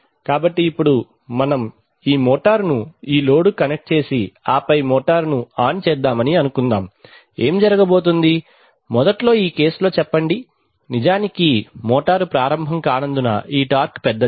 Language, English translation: Telugu, So now, if the, suppose that we connect the motor to this load and then switch on the motor, what is going to happen, say initially in this case, of course there is a, the motor will not start because of the fact that this torque is larger